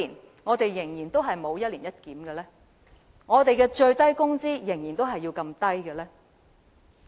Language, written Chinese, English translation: Cantonese, 為何我們仍然沒有一年一檢，為何我們的最低工資仍然這麼低？, Why has the annual review arrangement not been implemented in Hong Kong? . Why is the minimum wage level still so low in Hong Kong?